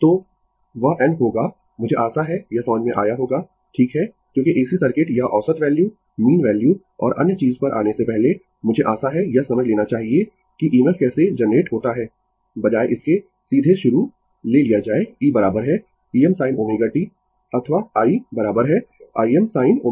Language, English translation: Hindi, So, that will be your n I hope you have understood this right because before going to AC circuits or average value mean value and other thing, I hope you have understood this that how EMF is generated instead of directly starting by taking e is equal to E m sin omega t or i is equal to i M sin omega t